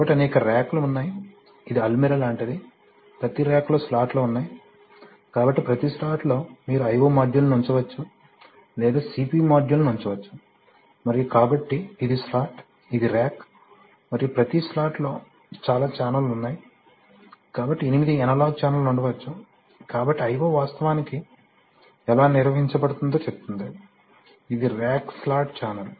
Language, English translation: Telugu, So there are a number of racks, it is like an Almirah, there are a number of racks, in each rack there are slots, so in each slot you can put i/o modules or you can put CPU modules and in each slot, so this is slot, this is rack, and in each slot contains several channels right, so there could be eight analog channel, so channels, so this is how I/0 is actually organized, it is rack slot channel